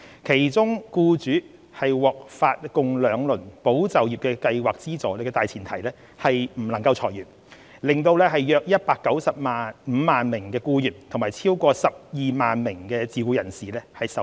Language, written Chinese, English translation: Cantonese, 其中僱主獲發共兩輪"保就業"計劃資助的大前提是不能裁員，令約195萬名僱員及超過12萬名自僱人士受惠。, On the premise that no layoffs were allowed employers had been subsidized by the two tranches of the Employment Support Scheme to the benefit of around 1.95 million employees and over 120 000 self - employed persons